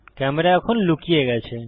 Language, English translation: Bengali, The camera is now hidden